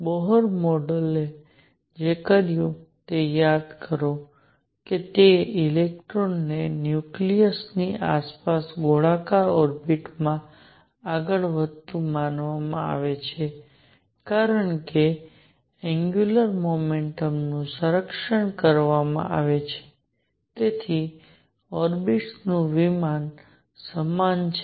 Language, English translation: Gujarati, So, recall what the Bohr model did Bohr model did was that it considered electrons to move be moving in circular orbits around the nucleus and because angular momentum is conserved the plane of the orbit is the same